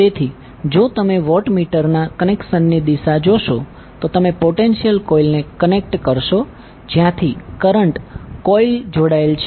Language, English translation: Gujarati, So if you see the direction of the watt meter connection, you will connect potential coil from where the current coil is connected